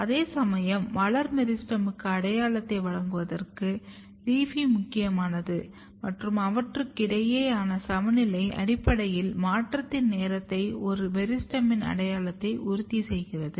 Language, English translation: Tamil, Whereas, LEAFY is important for giving identity to the floral meristem and the critical balance between them basically ensures the time of transition and the identity of a meristem